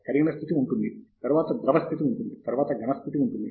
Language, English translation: Telugu, There is a molten state, then there is liquid state, and then there is a solid state